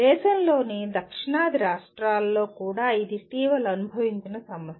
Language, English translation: Telugu, This is also recently experienced problem in the southern states of the country